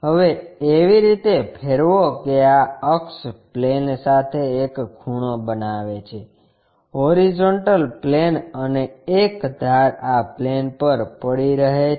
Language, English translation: Gujarati, Now, rotate in such a way that this axis makes an inclination angle with the plane, horizontal plane and one of the edges will be resting on this plane